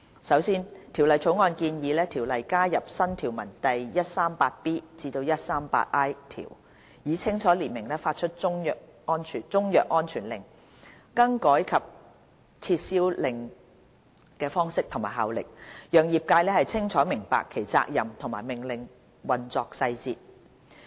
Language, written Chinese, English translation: Cantonese, 首先，《條例草案》建議《條例》加入新條文第 138B 至 138I 條，以清楚列明發出中藥安全令、更改令及撤銷令的方式和效力，讓業界清楚明白其責任和命令的運作細節。, Firstly the Bill proposes to add new sections 138B to 138I to CMO to clearly set out the forms and effects of the making of a CMSO variation order and revocation order with a view to facilitating traders understanding of their responsibilities and the operational details of the orders